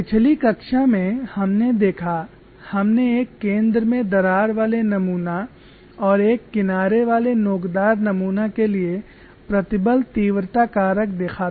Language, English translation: Hindi, In the last class, we had looked at stress intensity factor for the center crack specimen as well as a single edge notch specimen